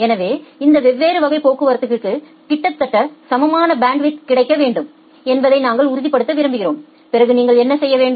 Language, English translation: Tamil, So, we want to ensure that all these different classes of traffic should get almost equal amount of bandwidth, then what you have to do